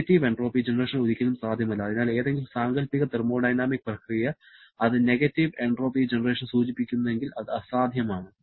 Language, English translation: Malayalam, Negative entropy generation is never possible and therefore any hypothetical thermodynamic process if that indicates negative entropy generation that is impossible